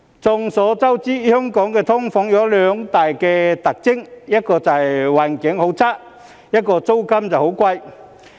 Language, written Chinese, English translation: Cantonese, 眾所周知，香港的"劏房"有兩大特徵：一是環境差，二是租金貴。, As everyone knows Hong Kongs SDUs have two major distinct features one being poor living environment and the other being exorbitant rents